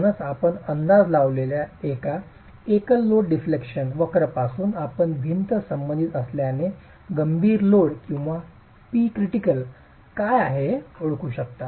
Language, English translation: Marathi, So, from this single load deflection curve that you estimate, you can identify what is the critical load or P critical as far as the wall is concerned